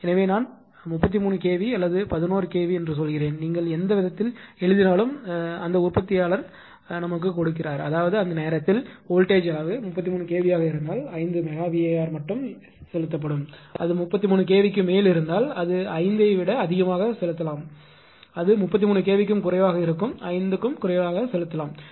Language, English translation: Tamil, So, I say 22 kv or 11 kv whatsoever whatever way you write right that manufacturer will give like; that means, the if the voltage level at the time if it is a 22 kv then then only 5 megawatt will be injected, if it is more than 33 kv then it will inject perhaps more than 5 it is less than 33 kv it will be injecting less than 5, but, right